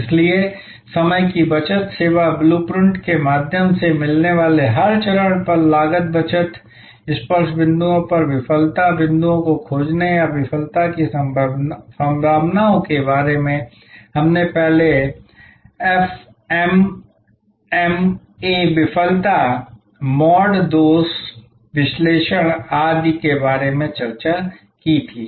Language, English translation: Hindi, So, time saving, cost saving at every stage found through the service blue print, finding the failure points at the touch points or failure possibilities we discussed about that FMEA Failure Mode Defect Analysis, etc earlier